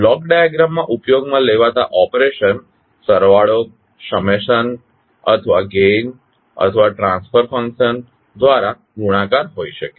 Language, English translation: Gujarati, So the operations used in block diagram are, can be the summations or maybe gain or multiplication by a transfer function